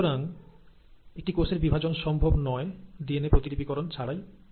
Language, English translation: Bengali, So it is not possible for a cell to divide without the process of DNA replication